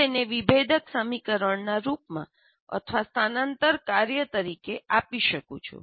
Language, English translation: Gujarati, I can give it in the form of a differential equation or as a transfer function